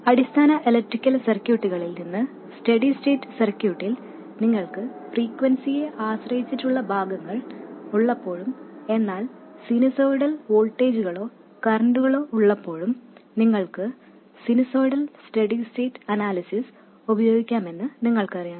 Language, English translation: Malayalam, You know that from basic electrical circuits when you have frequency dependent components but have only sinusoidal voltages or currents in the circuit, at steady state you can treat the, you can use sinusoidal steady state analysis